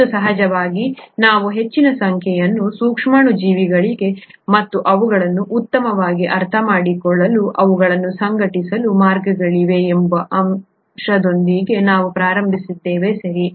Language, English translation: Kannada, And of course we started out with the fact that there are a large number of microorganisms and there are ways to organise them to make better sense of them, right